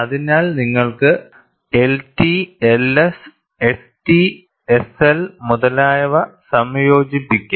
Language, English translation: Malayalam, So, you could have a combination of L T, L S, S T, S L and so on